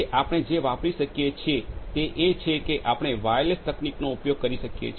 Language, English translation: Gujarati, So, what we can use is we can use wireless technology